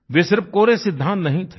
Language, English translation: Hindi, They were not just mere theories